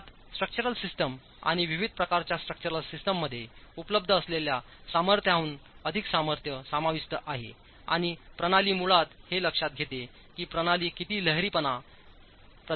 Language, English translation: Marathi, It also includes over strength that is available in structural systems, in different types of structural systems, and it basically takes into account how much of ductility can the system provide